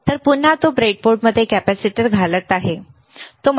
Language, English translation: Marathi, So, again he is inserting the capacitor in the breadboard, right